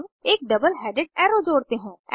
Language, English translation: Hindi, Now lets add a double headed arrow